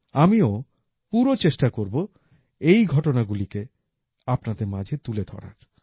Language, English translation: Bengali, I will also try my best to bring them to you